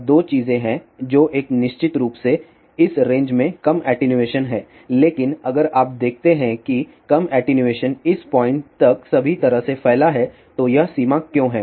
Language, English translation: Hindi, Now, there are two things are there one is of course, in this range there is a low attenuation but if you see low attenuations stretches all the way to up to this point then why this limit